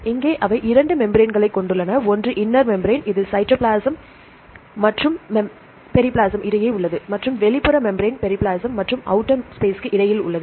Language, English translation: Tamil, Here they have two membranes one is the inner membrane inner membrane is the one which is between the cytoplasm and the periplasm and the outer membrane is between periplasm and outer space right